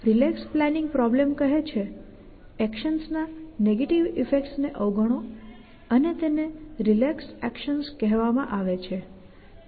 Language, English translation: Gujarati, The relax planning problem is basically says ignore the negative effects of actions and those are called relax actions